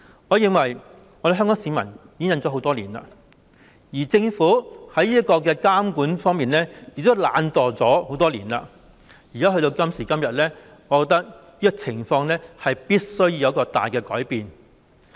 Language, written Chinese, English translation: Cantonese, 我認為香港市民已經忍受多年，政府在監管方面亦懶惰多年，到今時今日，我覺得這種情況必須作出大改變。, I think that the people of Hong Kong have endured the ordeal for many years and the Government has been lazy in supervision also for many years . Fast forward to today and I feel that this situation must be significantly changed